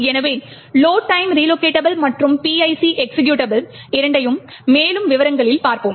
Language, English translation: Tamil, So will be looked at both the load time relocatable as well as the PIC executable in more details